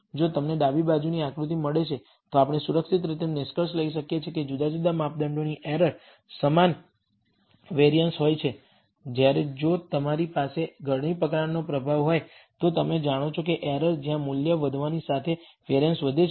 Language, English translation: Gujarati, If you get a figure such as in the left then we can safely conclude that the errors in different measurements have the same variance, whereas if you have a funnel type of effect then you know that the errors, where a variances increases as the value increases